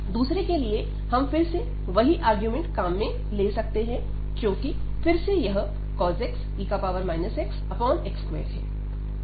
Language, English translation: Hindi, The second one here we can again use the same argument, because again this e power minus x cos x over this x square